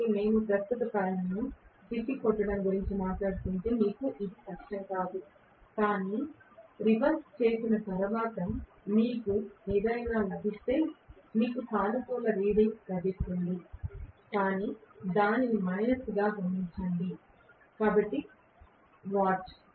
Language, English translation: Telugu, So, you would not this difficultly if we are talking about reversing the current coil, but whatever you got as may be after reversing you will get a positive reading but note it down as minus so and so watt